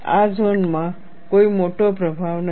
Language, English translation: Gujarati, There is no major influence in this zone